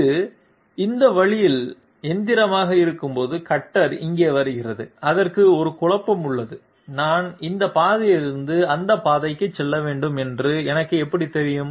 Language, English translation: Tamil, When it is machining this way, the cutter is coming here, it has a dilemma, and how do I know that I am supposed to move from this path to that path